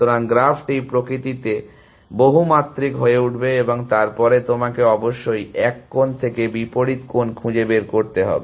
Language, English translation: Bengali, So, the graph would become multidimensional in nature and then you would have to find from one corner to the opposite corner essentially